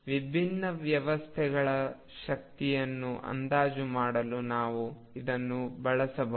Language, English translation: Kannada, We can use it also to estimate energies of different systems